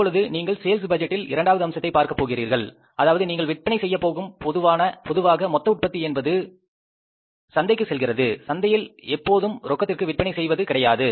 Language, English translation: Tamil, Now you will have to see that second component of the sales budget is that when you are going to sell, it's very obvious that total production going to market, you are selling in the market is not always on cash